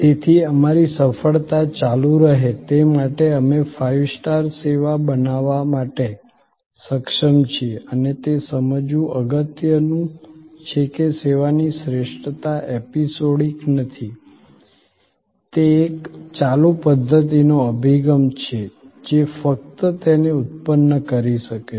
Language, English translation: Gujarati, So, that our success is continues, we are able to create a five star service and it is important to understand that service excellence is not episodic, it is a continues systems approach that can only produce it